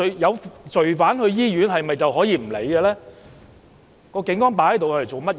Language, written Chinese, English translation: Cantonese, 有罪犯到醫院，警察可以不予理會嗎？, When a criminal goes to the hospital can the Police turn a blind eye to him?